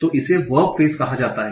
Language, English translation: Hindi, So this will be called a verb phage